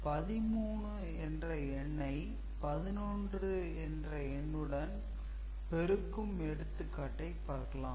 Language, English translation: Tamil, So, we shall take that 13 multiplied by 11 example ok